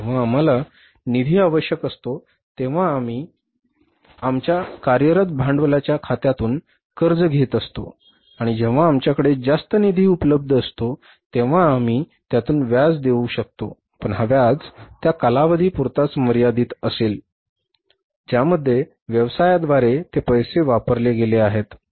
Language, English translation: Marathi, Whenever we need the funds, we borrow from our working capital account and whenever we have the surplus funds available we can deposit interest is charged only for the period for which the funds are used by the business